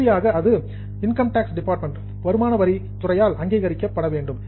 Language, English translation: Tamil, Finally, it is to be approved by income tax department